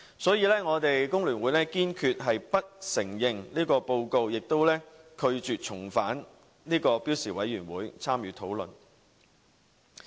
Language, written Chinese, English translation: Cantonese, 所以，我們工聯會堅決不承認這份報告，也拒絕重返標準工時委員會參與討論。, Hence the Hong Kong Federation of Trade Unions FTU firmly denies this report and refuses to return to SWHC for discussions